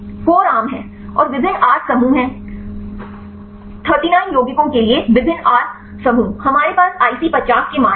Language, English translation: Hindi, Core is common and there are different R groups; so various R groups for 39 compounds; we have the IC50 values